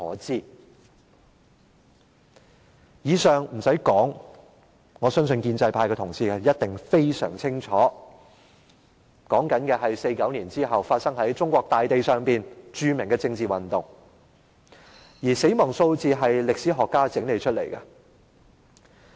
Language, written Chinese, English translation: Cantonese, 不用多說，建制派同事相當清楚1949年後發生在中國大地上的多場著名政治運動，當中的死亡數字是由歷史學家整理出來的。, Needless to say pro - establishment colleagues are well aware of a number of well - known political movements that took place in China since 1949 and the death tolls were compiled by historians